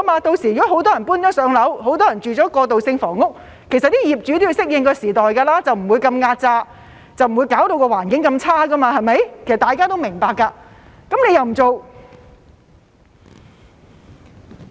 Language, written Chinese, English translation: Cantonese, 屆時如果很多人"上樓"，很多人居住在過渡性房屋，其實業主也要適應時代，不會壓榨得那麼厲害，不會弄到環境那麼差，對嗎？, By that time if many people have been allocated with PRH units and many are living in transitional housing SDU landlords will actually have to adapt to the times . They will no longer be so oppressive nor will they let the environment of SDUs become so poor right?